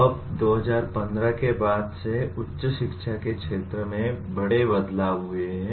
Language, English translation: Hindi, Now, since 2015 there have been major changes in the field of higher education